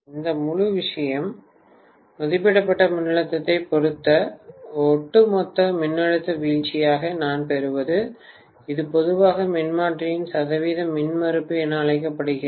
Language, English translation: Tamil, So this entire thing, what I get as the overall voltage drop with respect to the voltage rated, this is generally known as the percentage impedance of the transformer